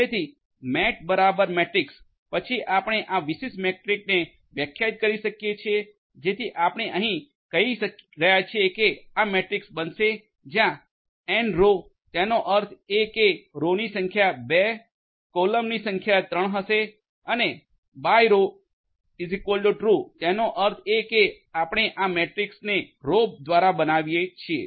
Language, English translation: Gujarati, So, mat equal to matrix then you define this particular matrix so here you are saying that this is going to be the matrix where n row; that means, the number of rows is going to be 2, number of columns equal to 3 and by row true so; that means, that you are going to build this matrix by row